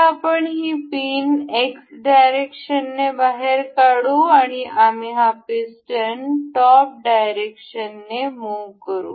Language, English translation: Marathi, Now, we will take this pin out in the X direction and we will move this piston on the top